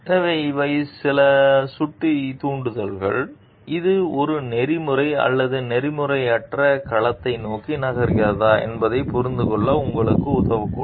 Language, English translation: Tamil, So, these are some of the pointers triggers, which may help you to understand whether it is moving towards an ethical or unethical domain